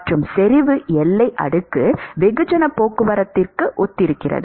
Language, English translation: Tamil, And, concentration boundary layer corresponds to mass transport